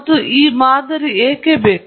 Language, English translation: Kannada, And why would we need this model